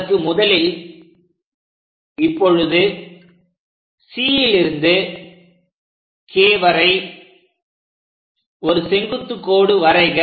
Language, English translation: Tamil, Now, the first step is from C all the way to K; we have to construct a vertical line